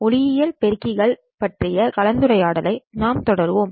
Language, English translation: Tamil, We will continue the discussion of optical amplifiers